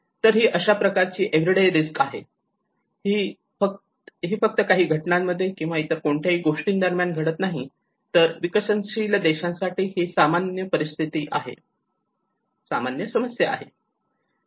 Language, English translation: Marathi, So this is a kind of everyday risk it is not just only happening during an event or anything, but it is a common problem for the developing at least the developing countries